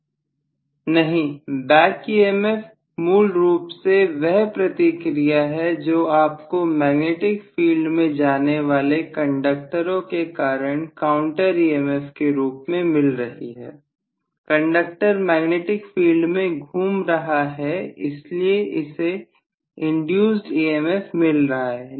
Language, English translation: Hindi, (())(18:32) No, back emf is basically whatever is the reaction that you are getting as the counter emf due to the conductors moving in a magnetic field, the conductors are moving in a magnetic field so it is getting an induced emf